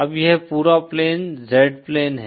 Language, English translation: Hindi, Now this whole plane is the Z plane